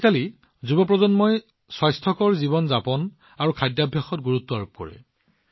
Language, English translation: Assamese, Nowadays, the young generation is much focused on Healthy Living and Eating